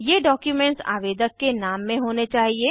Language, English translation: Hindi, These documents should be in the name of applicant